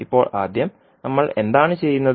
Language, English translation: Malayalam, So, first what we will do